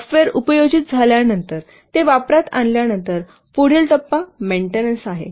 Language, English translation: Marathi, After the software is put into use, after it is deployed, so next phase is maintenance phase